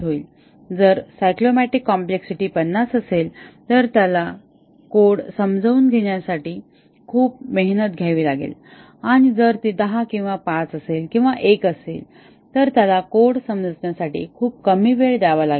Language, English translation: Marathi, If the cyclomatic complexity is 50, he would have to spend substantial effort in understanding the code and if it is 10 or 5 or 1, he would have to spend very little time in understanding the code